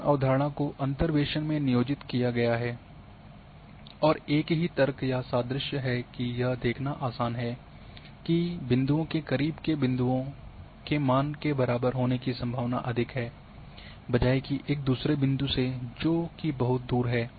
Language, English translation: Hindi, So, the same concept has been employed into interpolation and the same logic or analogy is that it is easy to see that the values of points close to sample points are more likely to similar then those that are further apart